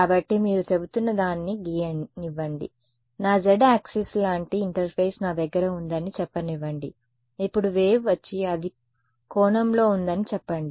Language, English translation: Telugu, So, let me draw what you are saying you are saying let us say I have an interface like this is my z axis let say now the wave come that it at some angle right